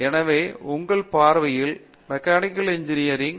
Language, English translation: Tamil, So, that is the design aspect of Mechanical Engineering